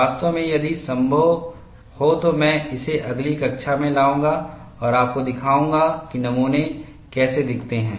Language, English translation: Hindi, In fact, if possible I will bring it in the next class and show you how the specimens look like